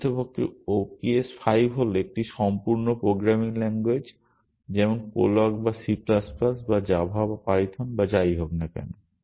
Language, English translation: Bengali, In fact, ops 5 is a complete programming language like any other programming language like prolog or c plus, plus or java or python or whatever